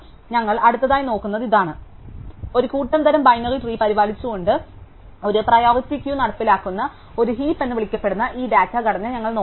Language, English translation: Malayalam, So, this is what we will look at next, we will look at this data structure called a heap which implements a priority queue by maintaining a set type of binary tree